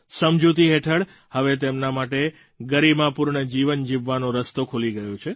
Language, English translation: Gujarati, As per the agreement, the path to a dignified life has been opened for them